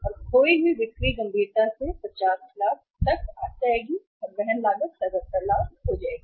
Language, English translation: Hindi, And the lost sales will seriously come down to 50 lakhs and the carrying cost will be 77 lakhs